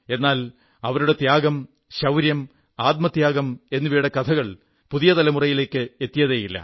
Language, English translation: Malayalam, But it's a misfortune that these tales of valour and sacrifice did not reach the new generations